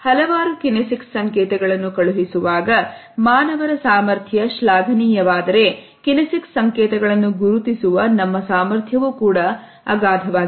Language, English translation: Kannada, If the capacity of human beings to send in numerous kinesic signals exists then our capacity to recognize kinesic signals is also potentially immense